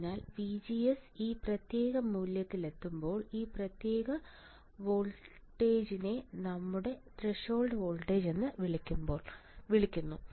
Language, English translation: Malayalam, So, this particular voltage right above which when VGS reaches is called your threshold voltage all right